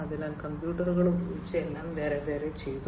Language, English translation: Malayalam, So, everything was done separately using computers